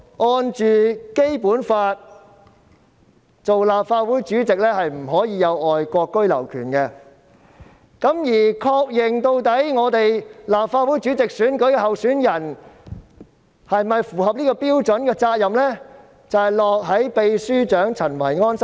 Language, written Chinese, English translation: Cantonese, 按《基本法》訂明，立法會主席不能擁有外國居留權，而確認立法會主席候選人是否符合標準的責任，正正是立法會秘書長陳維安。, Under the Basic Law the President of the Legislative Council cannot have the right of abode in foreign countries and the responsibility of confirming the eligibility of a candidate for the presidency falls on Kenneth CHEN the Secretary General of the Legislative Council Secretariat